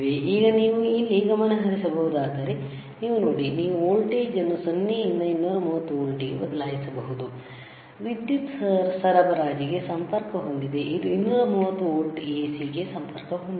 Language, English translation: Kannada, So now, if you can focus here, you see, you can change the voltage from 0 from 0 to 230 volts, it is connected to where